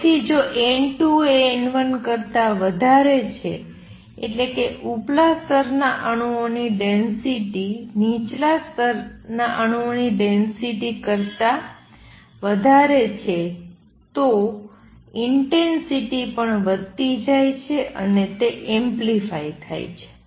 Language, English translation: Gujarati, So if n 2 is greater than n 1 that is the density of the atoms in the upper level is larger than the density of atoms in lower level intensity is going to increase as like travels and it gets amplified